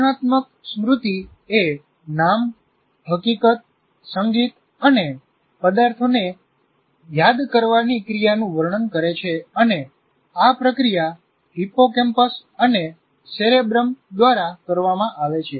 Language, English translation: Gujarati, Declarative memory describes the remembering of names, facts, music, and objects, and is processed by hippocampus and cerebrum